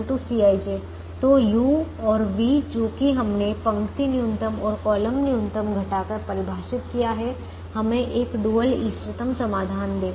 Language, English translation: Hindi, so the u's and the v's that we have defined through subtracting the row minimum and the column minimum gives us a, a dual, feasible solution